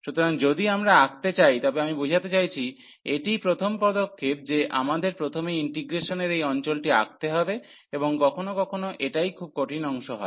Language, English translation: Bengali, So, if we draw I mean this is the first step that we have to draw the region of integration, and sometimes that is the difficult part